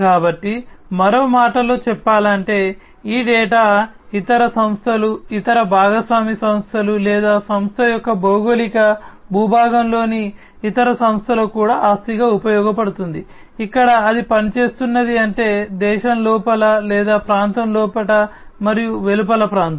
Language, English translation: Telugu, So, you know in other words basically, this data can serve as an asset to other organizations, other partner organizations or even the other organizations within the geographic territory of the company, where it is operating that means within the country or, within the region and outside the region